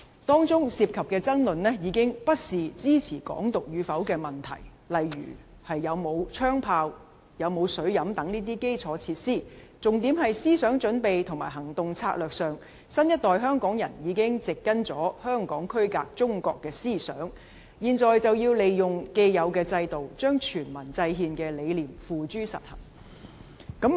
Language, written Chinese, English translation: Cantonese, 當中涉及的爭論已不是支持"港獨"與否的問題，例如有沒有槍炮、有沒有水飲等這些基礎設施，重點是思想準備及行動策略上，新一代香港人已植根香港區隔中國的思想，現在就要利用既有的制度，將全民制憲的理念付諸實行。, The arguments advanced therein are no longer about whether or not Hong Kong independence is endorsed such as the availability of infrastructure like guns and cannons and potable water . The crux is that in terms of mental preparation and action strategies the new generation of Hong Kong people would already have a deep - rooted idea of Hong Kong being separated from China . According to him now it is time to make use of the existing systems to realize the ideal of devising a constitution by referendum